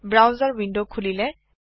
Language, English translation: Assamese, The browser window opens